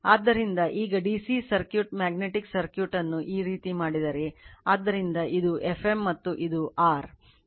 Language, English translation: Kannada, So, now if we make the DC circuit magnetic circuit like this, so this is F m, and this is phi, this is R